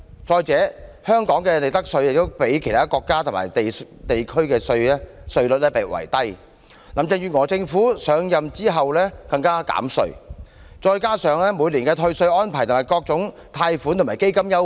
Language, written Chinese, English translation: Cantonese, 再者，香港的利得稅較其他國家及地區稅率低，林鄭月娥政府上任後更減稅，再加上每年的退稅安排、各項貸款及基金優惠。, Besides while the profits tax rate of Hong Kong was already lower than that in other countries and places Carrie LAMs Government has cut it further after coming into office . In addition tax rebates loans and funds are available year after year